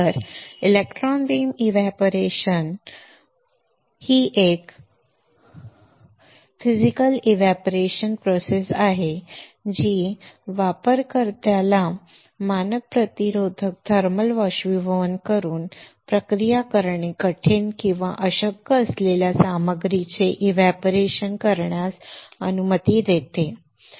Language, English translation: Marathi, So, electron beam evaporation is a Physical Vapor Deposition process that allows the user to evaporate the materials that are difficult or impossible to process using standard resistive thermal evaporation right